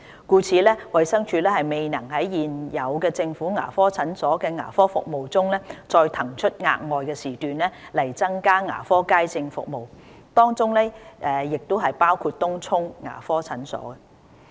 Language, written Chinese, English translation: Cantonese, 故此，衞生署未能在現有政府牙科診所的牙科服務中，再騰出額外時段來增加牙科街症服務，當中亦包括東涌牙科診所。, It is therefore not possible for DH to allocate more time slots for general public sessions on top of the existing service provided at government dental clinics including Tung Chung Dental Clinic